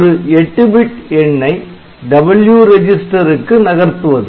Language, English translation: Tamil, So, this is a move copy 8 bit number into W register